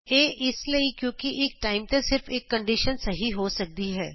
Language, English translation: Punjabi, It is because only one condition can be true at a time